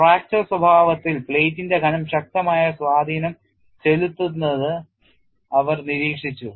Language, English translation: Malayalam, However researches have noticed that the thickness of the plate had a strong influence on fracture behavior